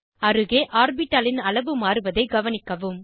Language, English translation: Tamil, Notice that the size of the orbital alongside, has changed